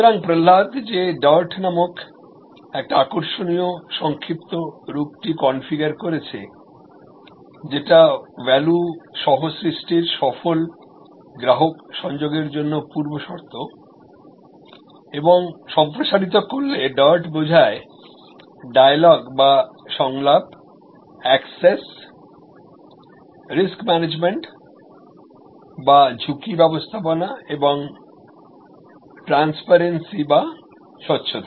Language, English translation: Bengali, So, Prahalad that actually configured this interesting acronym called dart, which is a prerequisite for successful customer involvement in co creation of value and to expend, it stands for dialogue, access and risk management and transparency